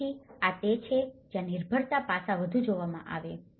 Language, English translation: Gujarati, So, this is where the dependency aspect is seen more